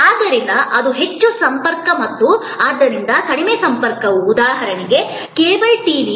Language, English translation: Kannada, So, that is high contact and; obviously, therefore, the low contact is for example, cable TV